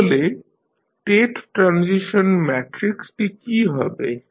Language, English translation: Bengali, So, what will be the state transition matrix